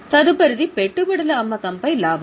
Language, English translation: Telugu, Next is profit on sale of investment